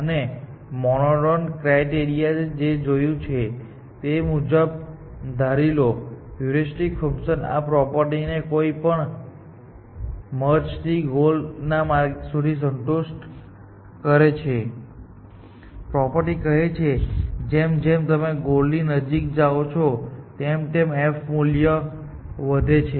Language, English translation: Gujarati, This monotone criteria that we observed, assuming that heuristic function satisfies this property from any path to the goal, this property holds that, as you go closer towards the goal, the f value increases